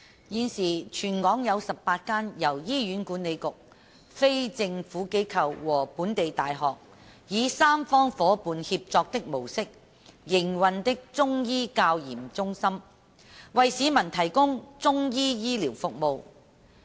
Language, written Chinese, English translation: Cantonese, 現時全港有18間由醫院管理局、非政府機構和本地大學，以三方伙伴協作的模式營運的中醫教研中心，為市民提供中醫醫療服務。, At present there are 18 Chinese Medicine Centres for Training and Research CMCs in the territory which are operated under a tripartite model involving the Hospital Authority non - governmental organizations and local universities providing Chinese medicine services to members of the public